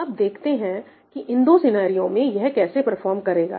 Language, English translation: Hindi, And let us see how it would perform under these two scenarios